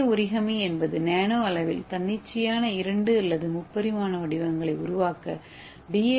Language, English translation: Tamil, so the DNA origami is that nano scale folding of DNA to create arbitrary two or three dimensional shapes at the nano scale